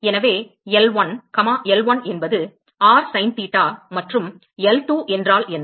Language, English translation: Tamil, So, L1, L1 is r sin theta and what is L2